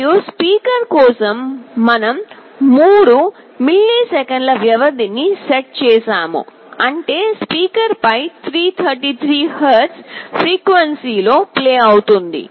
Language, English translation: Telugu, And for speaker we have set a period of 3 milliseconds that means 333 hertz of frequency will be played on the speaker